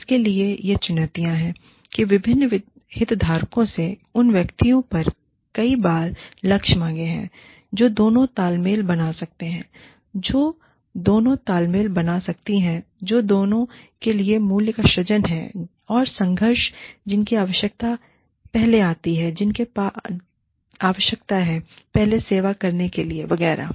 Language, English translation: Hindi, The challenges to this are, that there are multiple time target demands, from various stakeholders, placed on the individuals, which may create both synergies, which is creation of value for both, and conflicts, whose need comes first, whose need do you need to service first, etcetera